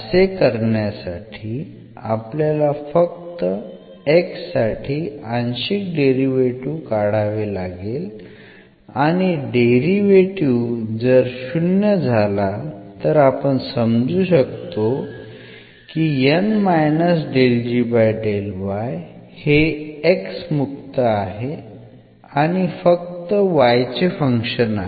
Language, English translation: Marathi, So, to show this meaning we have to just get the partial derivative with respect to x and if it comes to be 0 that means, this is free from x and it is a function of y alone